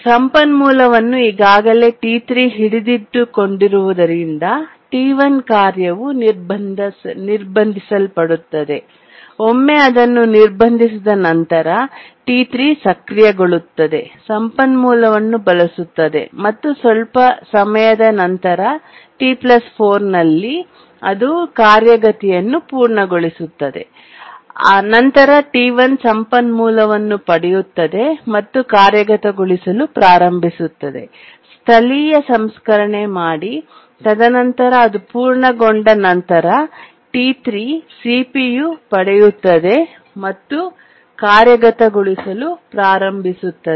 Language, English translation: Kannada, And once it gets blocked, T3 becomes active, uses the resource and after some time at T plus 4 it completes the execution and then T1 gets the resource starts executing does local processing and then after it completes then T3 gets the CPU and starts executing